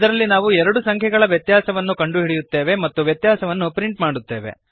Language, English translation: Kannada, In this we calculate the difference of two numbers and we print the difference